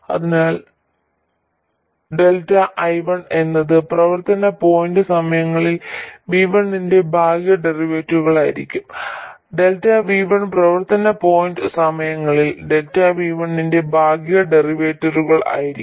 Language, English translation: Malayalam, So, delta I1 will be partial derivative of F1 with respect to V1 at the operating point times delta V1, partial derivative of F1 with respect to V2 at the operating point times delta V2